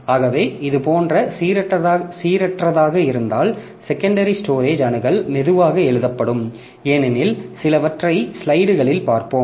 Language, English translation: Tamil, So, like that if it is random like this then secondary storage access will become slow as the read right head as we will see after a few slides